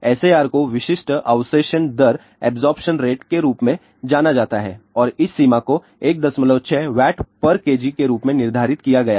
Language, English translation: Hindi, SAR is known as specific absorption rate and this limit has been set as 1